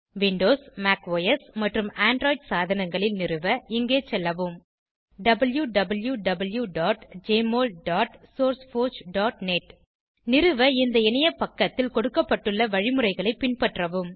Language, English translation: Tamil, For installation on Windows, Mac OS and Android devices, please visit www.jmol.sourceforge.net And follow the instructions given on the web page to install